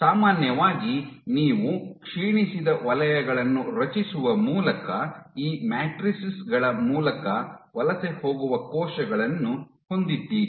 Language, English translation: Kannada, Generally, you have cells which are migrating through these matrices by creating degraded zones